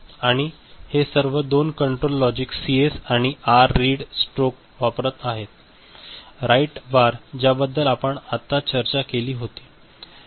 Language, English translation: Marathi, And all these are using two control logic CS and R read stroke, write bar the one that we had discussed just now right